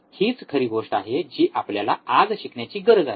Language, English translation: Marathi, That is the real thing that we need to learn today